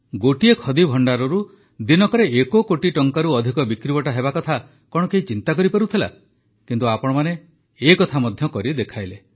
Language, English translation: Odia, Could anyone even think that in any Khadi store, the sales figure would cross one crore rupees…But you have made that possible too